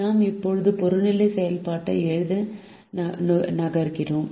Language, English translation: Tamil, we now move on to write the objective function